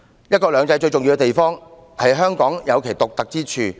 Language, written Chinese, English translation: Cantonese, "一國兩制"最重要的地方，是讓香港保有其獨特之處。, The most important point about one country two systems is that it allows Hong Kong to preserve its uniqueness